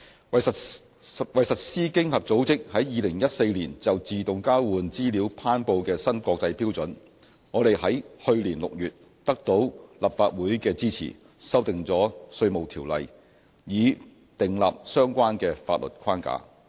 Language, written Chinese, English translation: Cantonese, 為實施經合組織在2014年就自動交換資料頒布的新國際標準，我們在去年6月得到立法會的支持，修訂了《稅務條例》以訂立相關的法律框架。, To implement the new international standard for AEOI promulgated by OECD in 2014 IRO was amended last June with the support of the Legislative Council to lay down the relevant legal framework